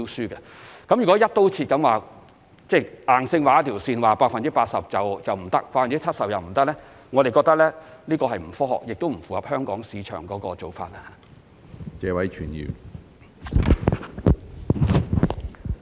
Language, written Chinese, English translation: Cantonese, 我們認為如以"一刀切"方式硬性劃出一條線，如訂明 80% 或 70% 以下便不符資格，這是既不科學也不符合香港市場要求的做法。, We do not consider it a scientific approach to draw a line across the board to rigidly exclude tenders with bidding prices which are less than 80 % or 70 % of the Sums Allowed and neither can this approach meet the needs of the market of Hong Kong